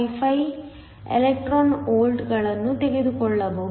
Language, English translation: Kannada, 55 electron volts